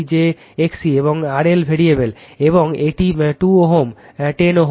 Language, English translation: Bengali, j x c, and R L variable, and this is your 2 ohm j 10 ohm